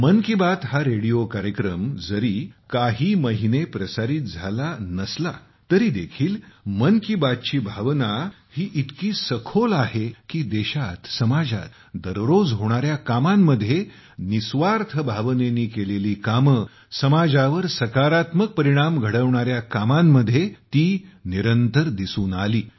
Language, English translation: Marathi, The ‘Mann Ki Baat’ radio program may have been paused for a few months, but the spirit of ‘Mann Ki Baat’ in the country and society, touching upon the good work done every day, work done with selfless spirit, work having a positive impact on the society – carried on relentlessly